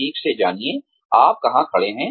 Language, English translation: Hindi, Know exactly, where you stand